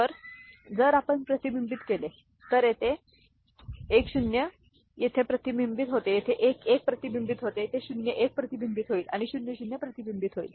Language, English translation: Marathi, So, if we reflect, so 1 0 is reflected here 1 1 is reflected here 0 1 is reflected here and 0 0 is reflected here, ok